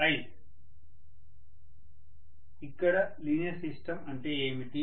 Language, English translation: Telugu, What do you mean by linear system here